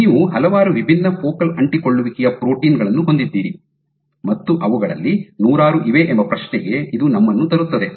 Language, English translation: Kannada, So, this brings us to the question you have so many different focal adhesion proteins hundreds of them